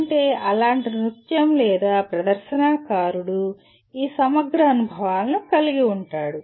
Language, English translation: Telugu, A dance like that or a performing artist will kind of have these integrated experiences